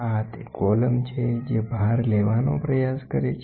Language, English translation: Gujarati, So, this is the column which tries to take the load